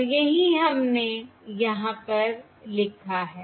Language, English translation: Hindi, Let us write this down again